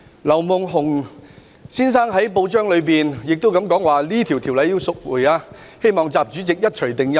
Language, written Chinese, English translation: Cantonese, 劉夢熊先生在報章表示，《條例草案》應該撤回，希望習主席一錘定音。, Mr LEW Mon - hung indicated in a newspaper that the Bill should be withdrawn and he hoped that President XI would give a final say